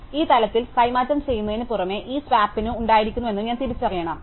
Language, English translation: Malayalam, So, in addition to swapping at this level, I also have to recognize that this swap happened